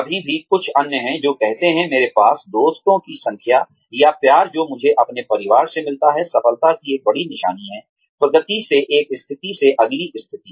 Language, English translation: Hindi, There are still others, who say, the number of friends, I have, or, the love, I get from my family, is a bigger sign of success, than is progression, from say, one position to the next